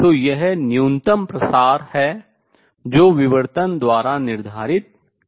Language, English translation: Hindi, So, this is the minimum spread that is set by the diffraction